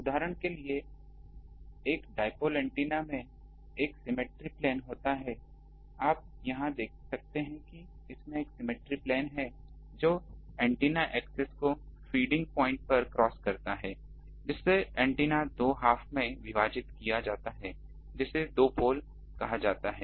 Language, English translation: Hindi, Actually a balanced antenna usually has at least one symmetric plane which can be grounded due to the symmetric structure; for example, a dipole antenna has a symmetric plane you can see here that it has a symmetric plane which crosses the antenna axis at the feeding point thereby dividing the antenna into two half's which are called two poles